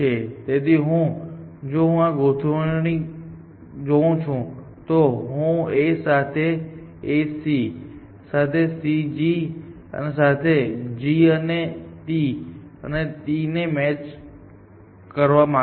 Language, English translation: Gujarati, So, if this I look at this alignment, matching A with A, C with C, G with G and T with C